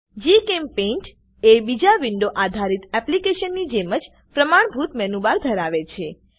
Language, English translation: Gujarati, GChempaint has a standard menu bar like other window based applications